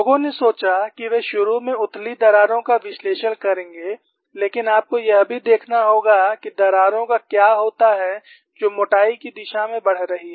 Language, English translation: Hindi, People thought they would analyze initially shallow cracks, but you will also have to look at what happens to cracks which are growing in the thickness direction